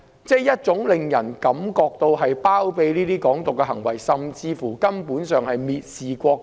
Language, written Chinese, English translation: Cantonese, 這種行為有包庇"港獨"之嫌，甚至根本上是蔑視國家。, Such acts are condoning Hong Kong independence and even showing disrespect for our country